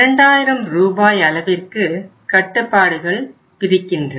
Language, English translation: Tamil, There is a restriction of 2000 Rs